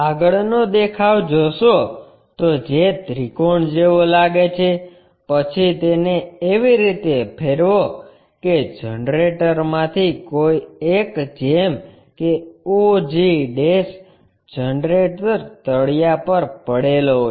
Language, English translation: Gujarati, Have a front view which looks like a triangle, then rotate it in such a way that one of the generator may be og' resting on the ground